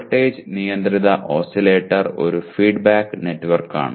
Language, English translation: Malayalam, Voltage controlled oscillator is a feedback network